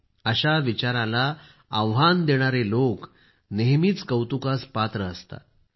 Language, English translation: Marathi, Those who challenge this line of thinking are worthy of praise